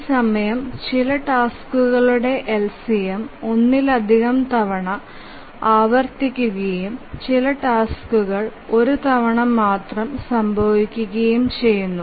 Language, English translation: Malayalam, During this LCM, some tasks may repeat multiple number of times and some tasks may just occur only once